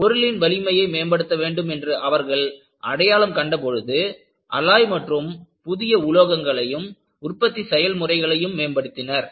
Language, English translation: Tamil, When they find that, strength of the material has to be improved, they went in for alloying the materials and new materials is developed and they also improved the production methods